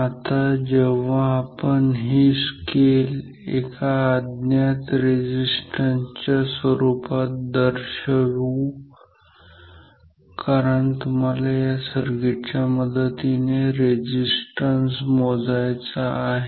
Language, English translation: Marathi, Now, when we mark this scale in terms of the unknown resistance, because you want to measure resistance with the circuit so, let me erase this and let me put the value of resistances